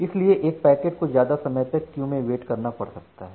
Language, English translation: Hindi, So that packet has to wait for more amount of time in the queue